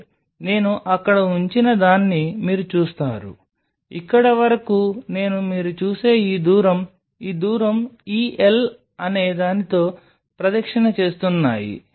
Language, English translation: Telugu, That means, that l what you see what I have put there l up to here I am just circling it with this distance what you see, this distance this l